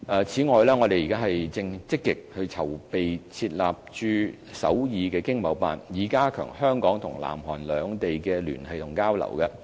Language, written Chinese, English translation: Cantonese, 此外，我們正積極籌備設立駐首爾經貿辦，以加強香港和南韓兩地的聯繫和交流。, In addition we are actively preparing for the setting up of the Seoul ETO to strengthen bilateral ties and exchanges between Hong Kong and South Korea